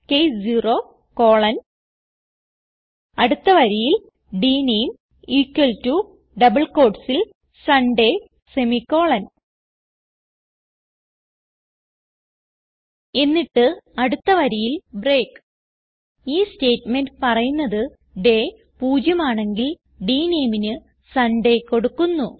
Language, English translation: Malayalam, Next line type case 0 colon Next line dName equal to within double quotes Sunday semicolon Then type Next linebreak This statement says that if the day is 0, then dName must be set to Sunday